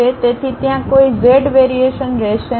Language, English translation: Gujarati, So, there will not be any z variation